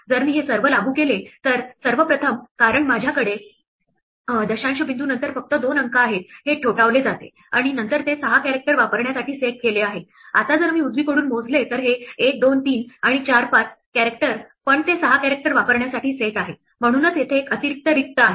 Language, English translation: Marathi, If I apply all this then first of all because I have only two digits after decimal point this 3 gets knocked off, and then because it’s set to use 6 character, now if I count from the right, this is 1, 2, 3, 4, 5 characters but it’s set to use 6 characters, that is why there is an extra blank here